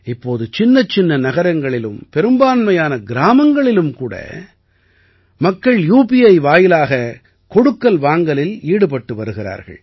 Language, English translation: Tamil, Now, even in small towns and in most villages people are transacting through UPI itself